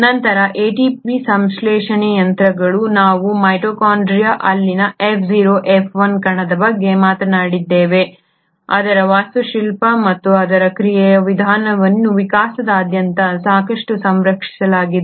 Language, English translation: Kannada, Then the ATP synthesising machinery; remember we spoke about the F0 F1 particle in the mitochondria, its architecture and its mode of action is fairly conserved across evolution